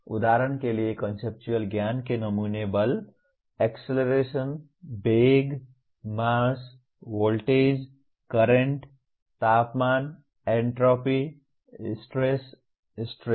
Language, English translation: Hindi, For example samples of conceptual knowledge Force, acceleration, velocity, mass, voltage, current, temperature, entropy, stress, strain